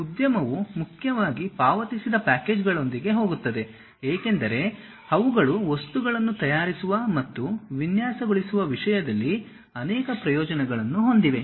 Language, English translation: Kannada, Industry mainly goes with paid packages because they have multiple advantages in terms of preparing and design materials